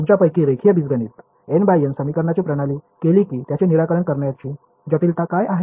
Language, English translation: Marathi, Those of you done linear algebra n by n system of equations what is the complexity of solving them